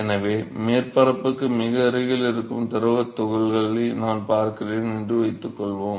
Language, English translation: Tamil, So, suppose I take the I look at the fluid particles close to very close to the surface